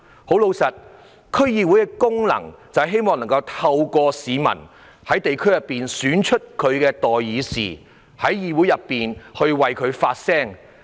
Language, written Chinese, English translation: Cantonese, 事實上，區議會的功能就是讓市民在地區選出代表他們的代議士，進入議會為他們發聲。, In fact one of the functions of DCs is to enable the public to elect their representatives at the district level so as to make their voices heard in the legislature